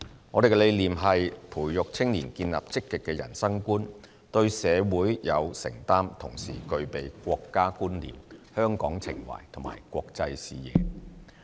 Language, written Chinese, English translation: Cantonese, 我們的理念是培育青年建立積極的人生觀，對社會有承擔，同時具備國家觀念、香港情懷和國際視野。, Our vision is to instil among them a positive outlook on life a commitment to society a sense of national identity a love for Hong Kong and an international perspective